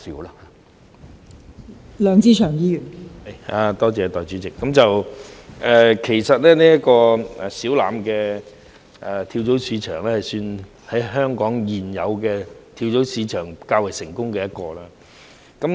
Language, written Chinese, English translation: Cantonese, 代理主席，其實小欖跳蚤市場算是香港現有的跳蚤市場中較為成功的一個。, Deputy President Siu Lam Flea Market can actually be regarded as a successful case among the existing flea markets in Hong Kong